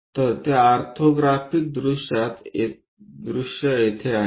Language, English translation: Marathi, So, here in that orthographic view